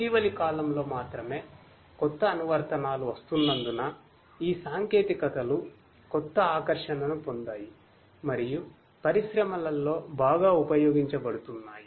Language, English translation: Telugu, But only in the recent times, because of the newer applications that are coming up, these technologies have got renewed attractiveness and are being used popularly in the industries